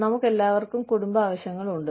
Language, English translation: Malayalam, We all have family needs